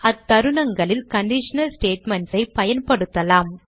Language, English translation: Tamil, In such cases you can use conditional statements